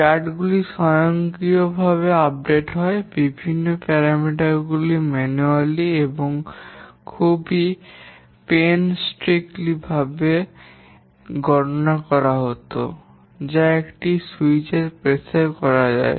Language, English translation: Bengali, The charts are automatically updated, different parameters are computed, so what used to be once computed manually and very painstakingly now can be done at the press of a switch